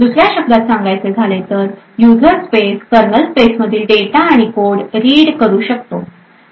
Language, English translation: Marathi, In other words, a user space would be able to read code and data present in the kernel space